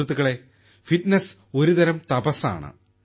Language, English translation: Malayalam, Friends, fitness is a kind of penance